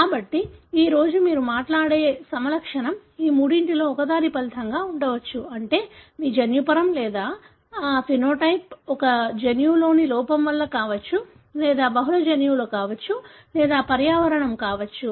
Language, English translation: Telugu, So, all the phenotype that you talk about today, as of now, could be result of one of the three: that is your genotype or phenotype could be because of defect in one gene or could be multiple genes or could be environmental